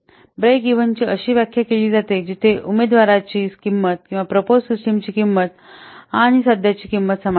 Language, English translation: Marathi, Break even is defined at the point where the cost of the candidate or the proposed system and that of the current one are equal